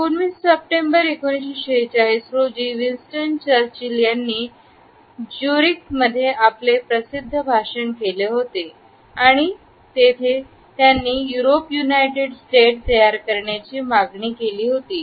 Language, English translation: Marathi, On September 19, 1946, Winston Churchill had delivered his famous speech in Zurich and where he had called for the creation of a United State of Europe